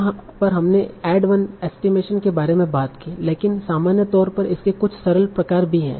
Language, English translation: Hindi, So in general, so here we talked about the add 1 estimation, but in general there are some simple variants of this also